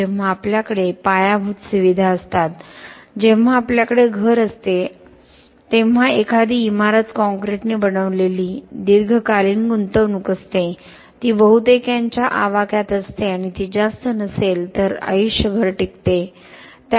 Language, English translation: Marathi, When we have infrastructure, when we have a house, when we have a home a building something that is made out a concrete is a long term investment it is within the reach of a most and it can last lifetime if not more